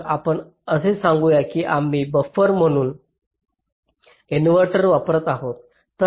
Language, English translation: Marathi, so here lets say we are using an inverter as a buffer